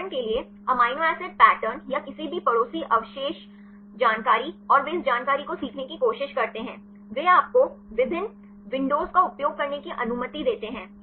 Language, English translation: Hindi, For example, amino acid pattern or any neighboring residue information and they try to learn this information, they allows you use the different windows